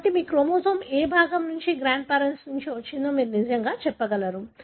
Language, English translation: Telugu, So, you can really say which part your chromosome has come from which grand parents